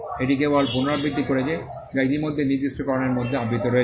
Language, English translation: Bengali, It is just reiterating what is already covered in the specification